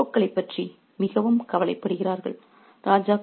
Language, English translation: Tamil, They are very much worried about their egos